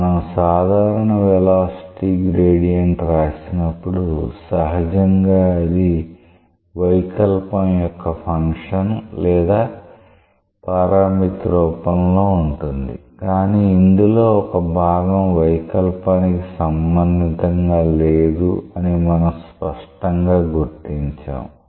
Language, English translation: Telugu, So, when we write the general velocity gradient which should be in general a function or a parameterization of the deformation out of that clearly we distinguish that one part is not related to deformation